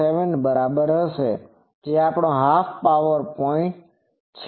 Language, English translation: Gujarati, 707 which is our half power point